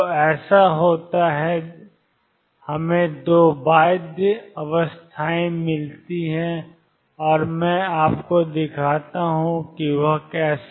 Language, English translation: Hindi, So, happens that we get 2 bound states and let me show you how